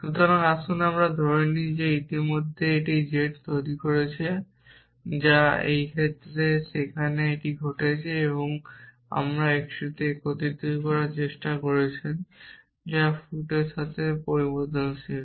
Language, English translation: Bengali, So, let us assume that we have already made this z which is this case where this is happening now you are trying to unify this x which is a variable with feet of